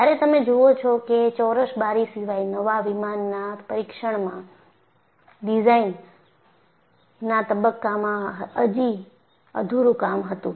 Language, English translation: Gujarati, So, what you will have to look at is apart from the square windows, the testing of the new plane while still in it is design phase was inadequate